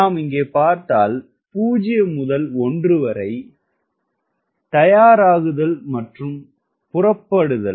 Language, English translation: Tamil, right, if i see here, zero to one, which is warm up plus takeoff